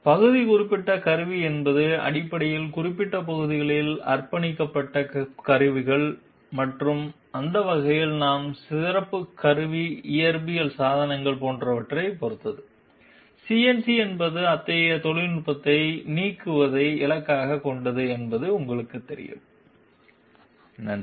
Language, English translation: Tamil, Part specific tooling means basically tools which are dedicated to specific parts and that way we are very much depended upon special tooling physical devices, etc and CNC is you know targeted towards elimination of such technology, thank you